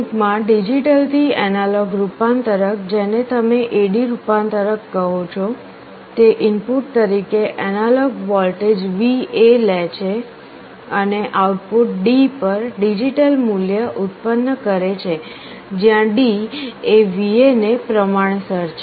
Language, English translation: Gujarati, An analog to digital converter in short you call it an A/D converter, it takes an analog voltage VA as input and produces digital value at the output D, where D is proportional to VA